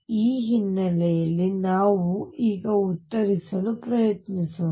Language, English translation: Kannada, With this background let us now try to answer